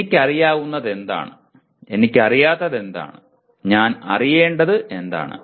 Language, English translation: Malayalam, What I know, what I do not know, what I want to know